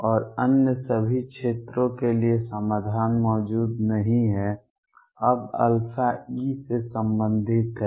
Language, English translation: Hindi, And for all the other region solution does not exists, now alpha is related to e